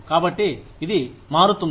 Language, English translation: Telugu, So, it changes